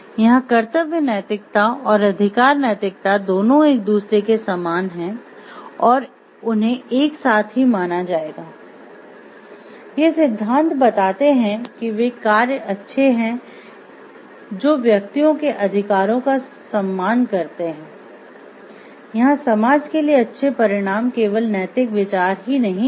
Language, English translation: Hindi, So, duty ethics and right ethics are similar to each other and will be considered together, these theories hold that those actions are good they respect the rights of the individuals, here good consequences for society as a whole are not the only moral consideration